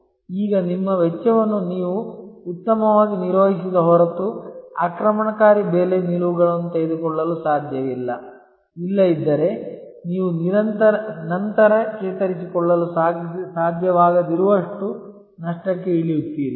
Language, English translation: Kannada, Now, you cannot taken aggressive pricing stands, unless you have a very good handle on your cost; otherwise, will land up into lot of loss which you may not be able to recover later